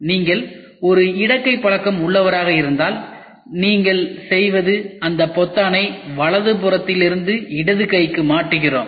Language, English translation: Tamil, If you are a left hander all you have to do is swap that button from the right hand side to the left hand side